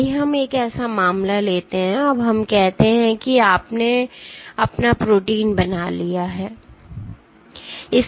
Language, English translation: Hindi, Let us take one such case, now let us say you have made your protein